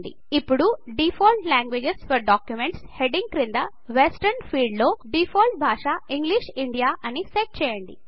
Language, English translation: Telugu, Now under the heading Default languages for documents, the default language set in the Western field is English India